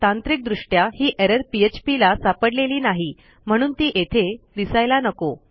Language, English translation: Marathi, Now technically, php hasnt picked this up, so this shouldnt be here